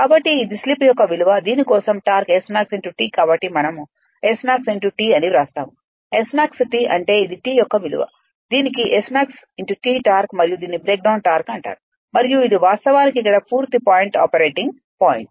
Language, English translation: Telugu, So, we write the S max T the max T means this is the value of T for which the it has maximum torque and this is called your breakdown torque and this is actually some point here full load operating point